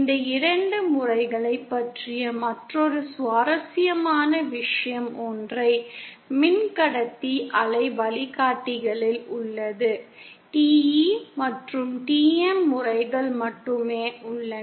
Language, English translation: Tamil, Other interesting thing about these two modes is in single conductor waveguides, only TE and TM modes exist